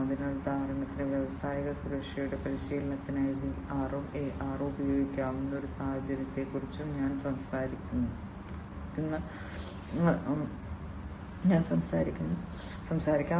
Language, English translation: Malayalam, So, for example, there are situations I will also talk about a scenario, where VR as well as AR can be used for training of industrial safety